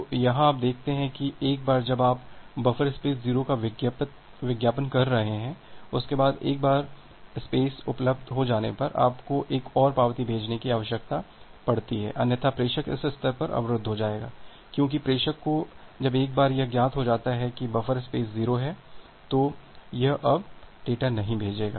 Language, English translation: Hindi, So, here you can see that once you are advertising buffer space 0, after that, once that buffer space becomes available, you need to send another acknowledgement, otherwise, the sender will get blocked at this stage because the sender; once it gets that the buffer space is 0, it will not send anymore data